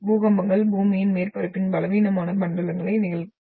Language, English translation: Tamil, And the earthquakes are seen occurring along the weak zones of the earth’s surface